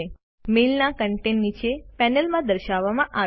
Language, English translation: Gujarati, The contents of the mail are displayed in the panel below